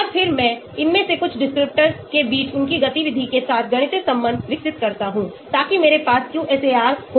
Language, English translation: Hindi, And then I develop a mathematical relation between some of these descriptors with their activity, so that I will have a QSAR